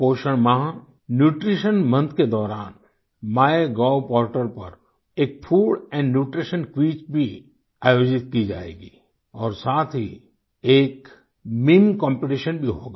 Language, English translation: Hindi, During the course of the Nutrition Month, a food and nutrition quiz will also be organized on the My Gov portal, and there will be a meme competition as well